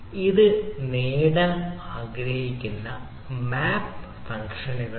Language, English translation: Malayalam, our objective is to the mapping functions